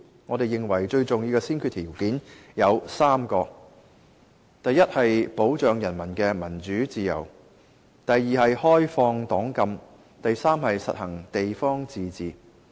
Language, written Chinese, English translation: Cantonese, 我們認為最重要的先決條件有3個：一是保障人民的民主自由；二是開放黨禁；三是實行地方自治。, We consider the three most important prerequisites are firstly the protection of peoples democratic freedom secondly the lifting of the ban on political parties and thirdly the practice of local self - government